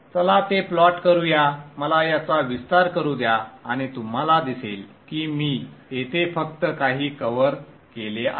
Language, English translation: Marathi, So let us plot that, let me expand this and you'll see that and let me also probably see just few